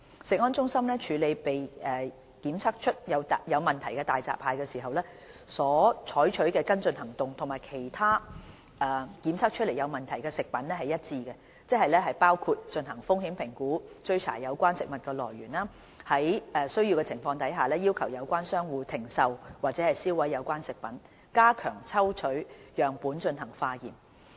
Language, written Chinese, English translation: Cantonese, 食安中心處理被檢測出有問題的大閘蟹時，所採取的跟進行動與其他被檢測出有問題的食品一致，即包括進行風險評估、追查有關食物來源、在有需要的情況下要求有關商戶停售或銷毀有關食品，以及加強抽取樣本進行化驗。, CFS handles problem hairy crabs in the same way as it does with other problem foods . The follow - up actions include conducting risk assessment tracing the food source requesting the trade to stop selling or surrender the affected products for disposal where necessary and strengthening the sampling and testing efforts